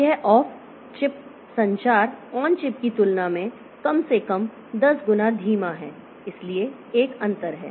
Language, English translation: Hindi, So, this off chip communication is slower than on chip at least 10 times slower